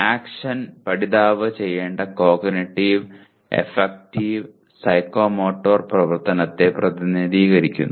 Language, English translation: Malayalam, Action represents Cognitive, Affective, Psychomotor activity the learner should perform